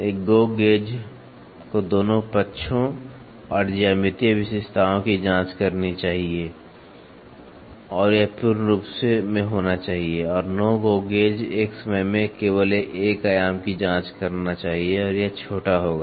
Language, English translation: Hindi, A GO gauge should check both sides and the geometric features and that must be in full form and no GO gauge should check only one dimension at a time and it will be short